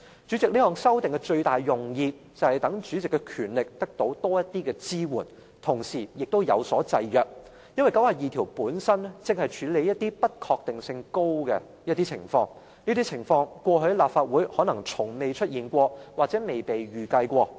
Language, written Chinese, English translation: Cantonese, 主席，這項修訂的最大用意，就是讓主席的權力得到多一點支援，同時也有所制約，因為第92條本身正是要處理一些不確定性較高的情況，而這些情況過去在立法會可能從未出現或從未被預計。, President the principal intent of this amendment is to provide additional support to the power of the President and to ensure that such power is subject to restrictions as RoP 92 per se deals with the handling of scenarios of greater uncertainty